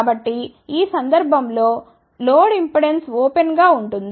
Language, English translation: Telugu, So, in this case load impedance is open